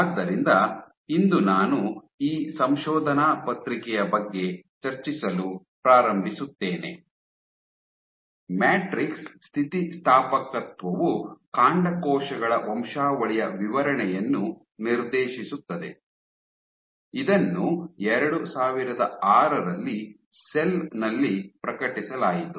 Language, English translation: Kannada, So, today I will start discussing this paper Matrix Elasticity directs stem cell lineage specification, Cell 2006